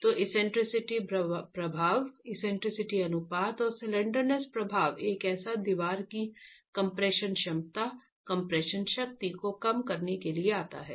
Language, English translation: Hindi, So the eccentricity effect, eccentricity ratio, and and the slenderness effect together comes to reduce the force displacement, the compression capacity, compression strength of the wall itself